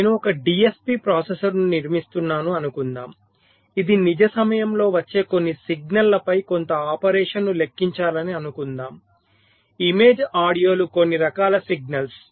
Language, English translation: Telugu, suppose i am building a dsp processor which is suppose to compute some operation on some signals which are coming in real time image, audios, some kind of signals